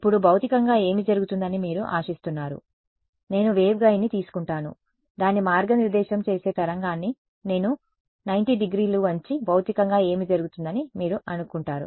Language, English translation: Telugu, Now, what do you expect physically to happen I take a waveguide its guiding a wave I bend it by 90 degrees what would you expect will happen physically